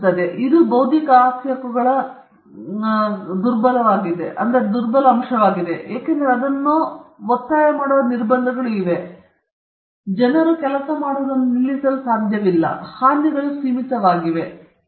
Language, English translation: Kannada, And and, again, this is the weakest of intellectual property rights, because there are restrictions on enforcing it, you cannot stop people from doing things, and your damages are also limited; we will get to it